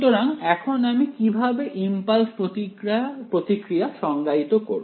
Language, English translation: Bengali, So, now how do I define the impulse response